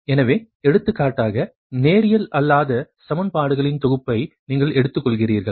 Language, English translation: Tamil, you take a set of non linear equation